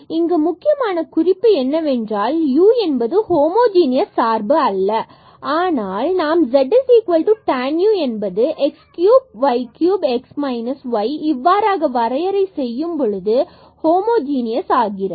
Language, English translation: Tamil, So, here the important point is that this u was not a homogeneous function, but by defining this as the z is equal to tan u which is x cube plus y cube over x minus y it becomes homogeneous